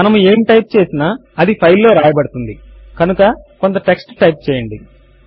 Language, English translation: Telugu, Whatever we type would be written into the file so type some text